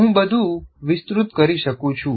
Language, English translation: Gujarati, Now I can expand further